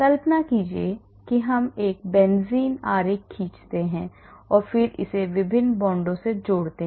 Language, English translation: Hindi, imagine I am drawing a benzene and then I am connecting it to the different bonds